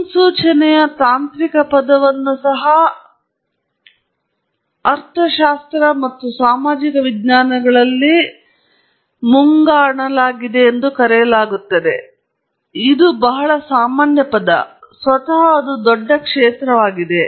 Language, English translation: Kannada, Technical term for prediction is also called is also forecasting in econometrics and social sciences; it’s a very common term and that’s a huge field in itself